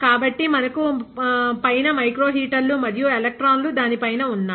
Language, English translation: Telugu, So, we have a microheater and electrons on top of it